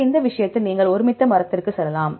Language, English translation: Tamil, So, for this case you can go to consense tree right